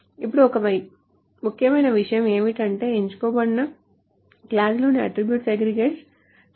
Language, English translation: Telugu, Now one important thing is that the attributes in the select clause that are not aggregated